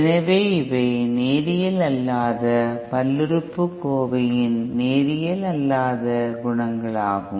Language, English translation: Tamil, So these are the non linear coefficients of the non linear polynomial